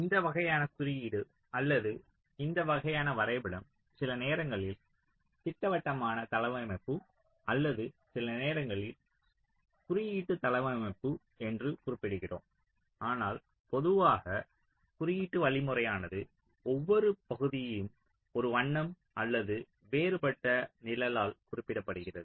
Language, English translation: Tamil, now, this is, ah, this kind of a notation or this kind of a diagram is sometimes called as schematic, or we also sometimes refer to as a symbolic layout, but usually symbolic means each of our regions are represented by either a color or different shade